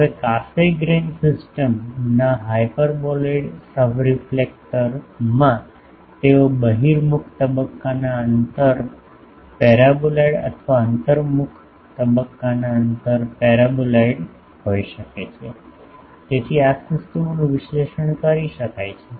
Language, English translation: Gujarati, Now, the hyperboloid subreflector in Cassegrain system may have its convex phase spacing paraboloid or concave phase spacing paraboloid so, this systems can be analysed etc